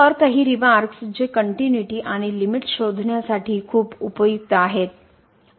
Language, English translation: Marathi, So, some remarks which are very useful for finding out the continuity or basically the limit